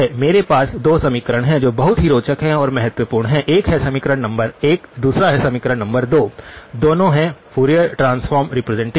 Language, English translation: Hindi, I have 2 equations which are very interesting and important, one is equation number 1, second is equation number 2, both are Fourier transform representations